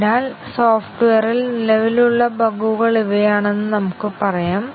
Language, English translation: Malayalam, And, so let us say these are the bugs which are existing in the software